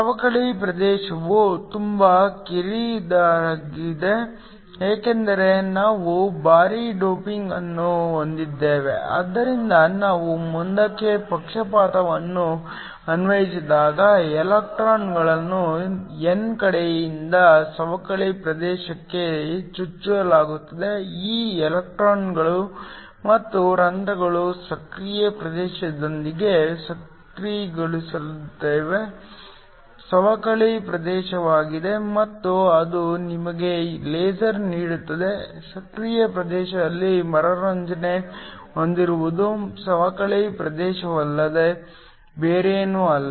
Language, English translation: Kannada, The depletion region is also very narrow because we have heavy doping, so when we apply a forward bias the electrons are injected from the n side to the depletion region the holes are injected from the p side these electrons and holes combine within the active region which is the depletion region and that give you a laser, have recombination in the active region in the active region is nothing but the depletion region